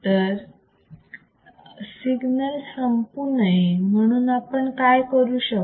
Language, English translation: Marathi, So, what can we do to not let the signal die